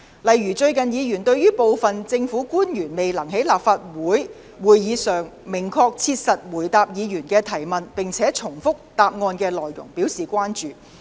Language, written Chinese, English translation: Cantonese, 例如，議員最近對於部分政府官員未能在立法會會議上明確切實地回答議員的提問，並且重複其答覆內容表示關注。, For example Members were recently concerned about the failure on the part of some public officers to give clear and definite answers and their giving of repetitive answers to questions raised at Legislative Council meetings